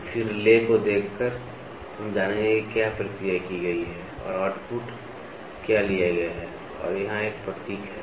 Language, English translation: Hindi, So, then by looking at the lay we will know what is the process done and what is the output taken and here is a symbol